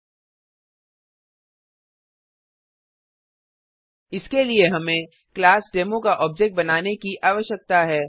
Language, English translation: Hindi, 00:09:28 00:09:21 For that we need to create the object of the class Demo